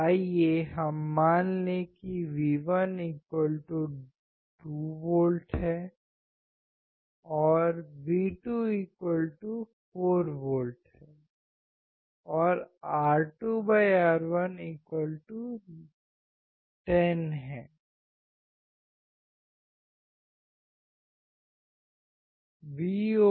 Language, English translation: Hindi, Let us assume that V1=2V, V2=4V and R2/R1=10